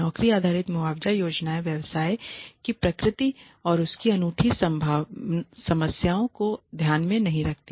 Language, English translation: Hindi, Job based compensation plans do not take into account the nature of the business and its unique problems